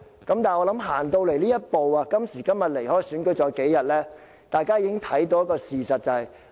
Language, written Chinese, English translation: Cantonese, 但是，我相信來到這一步，今天距離選舉只有數天，大家已看清事實。, However I believe everyone has seen the facts clearly by now as we are only a few days away from the election